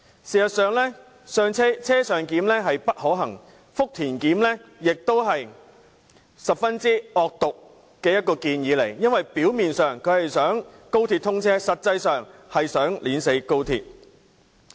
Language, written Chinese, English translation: Cantonese, 事實上，"車上檢"並不可行，而"福田檢"亦是十分惡毒的建議，因為表面上是為了高鐵通車，但實際上卻為了扼死高鐵。, Actually on - board clearance is not feasible and conducting clearance procedures at Futian Station is likewise a vicious proposal . I say so because apparently it aims to enable XRL to commission service but it is actually intended to strangle XRL to death